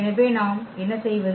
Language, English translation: Tamil, So, what do we do